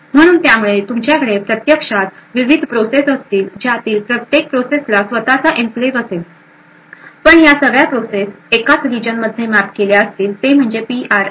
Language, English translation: Marathi, So, therefore you could actually have multiple processes like this each of them having their own enclaves but all of this processes would mapped to the same region within the Ram that is the PRM region